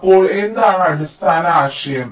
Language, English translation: Malayalam, so what is the basic idea